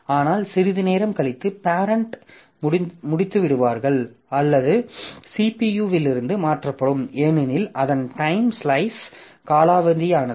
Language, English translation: Tamil, But after some time the parent will either finish or it will be swapped out of CPU because its time slice has expired